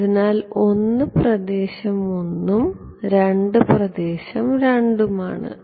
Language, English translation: Malayalam, So, 1 is region 1 and 2 is region 2 ok